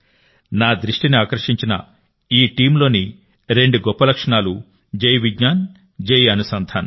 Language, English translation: Telugu, The two great features of this team, which attracted my attention, are these Jai Vigyan and Jai Anusandhan